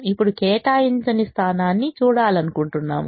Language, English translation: Telugu, now we want to see the un allocated position